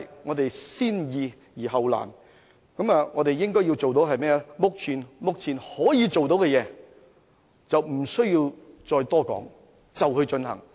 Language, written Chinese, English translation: Cantonese, 我們先易後難，應該做目前可以做到的事，不需要再多談，馬上進行。, We should tackle the simple issues first before the difficult ones and do what we can do now . Instead of keep on elaborating we should take action immediately